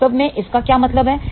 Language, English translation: Hindi, What is that really mean